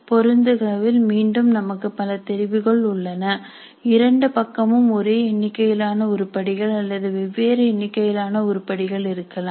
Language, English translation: Tamil, Again in the matching blocks we have a choice both sides can have same number of items or different number of items